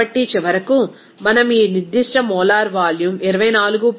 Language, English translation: Telugu, So, we can say that finally, we can get this specific molar volume of 24